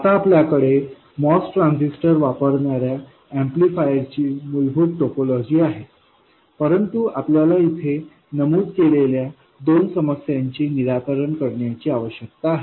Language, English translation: Marathi, We now have the basic topology of an amplifier using a MOS transistor but there are two problems that we need to solve which are mentioned here